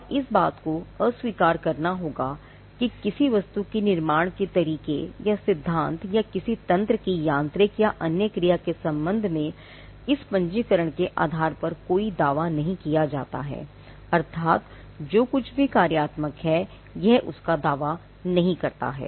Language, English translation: Hindi, And there has to be disclaimer that no claim is made by virtue of this registration in respect of any mechanical or other action of the mechanism, whether whatever or in respect of any mode or principle of construction of the article meaning which it does not claim anything that is functional